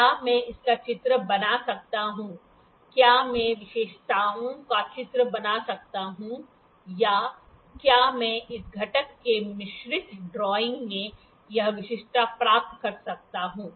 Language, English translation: Hindi, Could I draw drawing of this could I draw the specifications or could I get this specification in a mixed drawing of this component